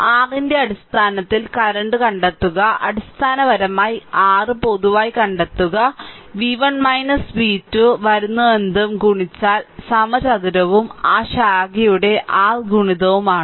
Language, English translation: Malayalam, Find out current in terms of your basically its i square r you find out general in general that v 1 minus v 2 upon whatever i is come and multiply by that I take is square and multiplied that r of that branch right